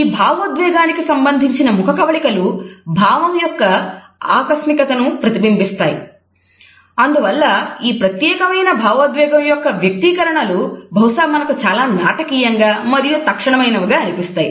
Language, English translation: Telugu, The facial expressions which are associated with this emotion reflect the unexpectedness of this emotion and therefore, we find that the facial features associated with the expression of this particular emotion are perhaps the most dramatic and instantaneous